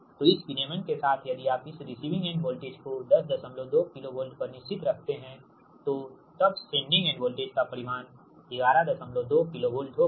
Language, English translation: Hindi, so with this regulation, if you want to keep this receiving end voltage fixed at ten point two k v, then sending end voltage magnitude will be eleven point two k v, right